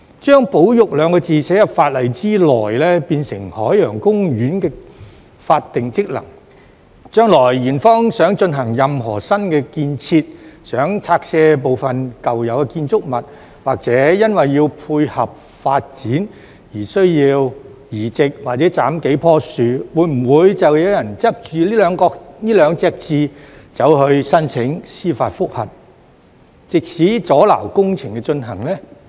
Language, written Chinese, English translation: Cantonese, 將"保育"兩個字寫入法例內，變成海洋公園的法定職能，將來園方想進行任何新建設、想拆卸部分舊有的建築物，或因為要配合發展而需要移植或斬數棵樹，會否就有人執着於這兩個字去申請司法覆核，藉此阻撓工程進行呢？, After the inclusion of conservation into the law as Ocean Parks statutory function if Ocean Park wants to carry out new projects or demolish some of the existing buildings or needs to replant or fell several trees to facilitate development in the future will people dwell on this word and apply for judicial review to obstruct these projects?